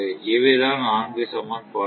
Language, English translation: Tamil, So, these are the all four equations